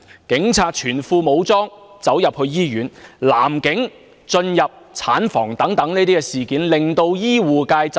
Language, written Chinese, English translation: Cantonese, 警察全副武裝進入醫院、男警進入產房等事件，均令醫護界震怒。, Incidents such as fully armed police officers entering hospitals and male police officers entering the maternity ward have infuriated the health care sector